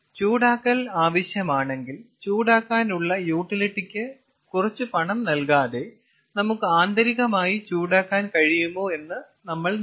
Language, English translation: Malayalam, if heating is needed, we have to see whether we can do the heating again internally without paying some money for the hot utility